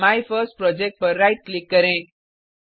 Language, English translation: Hindi, So, Right click on MyFirstProject